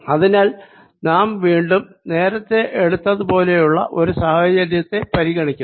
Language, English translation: Malayalam, and therefore now consider again a situation i took earlier